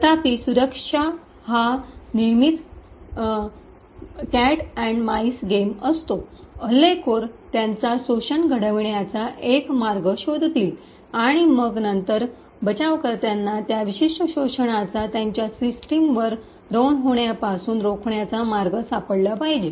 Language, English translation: Marathi, However, security has always been a cat and mouse game the attackers would find a way to create an exploit and then the defenders would then find a way to prevent that particular exploit from running on their system